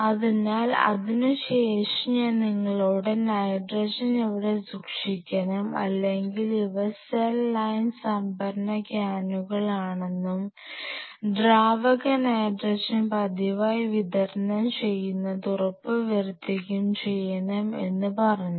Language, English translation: Malayalam, So, now after that I have talk to you about where to keep the nitrogen can or these are the cell line storage cans and ensuring, ensuring regular supply of liquid nitrogen to replenish the consume liquid n 2